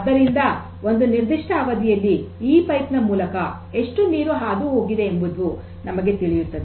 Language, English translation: Kannada, So, over a period of time how total water has passed through this pipe will be known to us